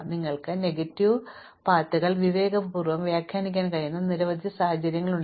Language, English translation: Malayalam, There are many situations where you can actually interpret negative ways in a sensible way